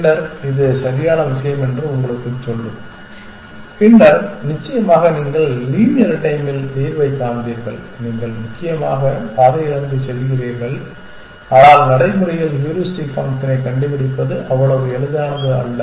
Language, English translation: Tamil, Then, it will just tell you which is the correct thing and then of course, you would find the solution in linear time essentially, you just go from along the path essentially, but in practice of course, it is not, so easy to find heuristic function